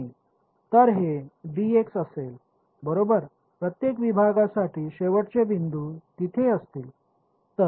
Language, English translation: Marathi, So, this will be d x right the endpoints for each segment will be there right